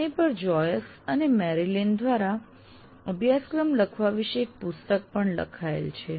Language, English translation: Gujarati, There is even a book written on this by Joyce and Marilyn about writing the syllabus